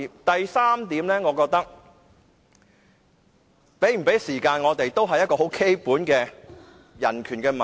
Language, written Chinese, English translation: Cantonese, 第三點，我們有無時間發言是基本的人權問題。, Thirdly whether we are given time to speak is a matter of basic human right